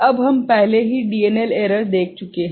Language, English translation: Hindi, Now, we have already seen DNL error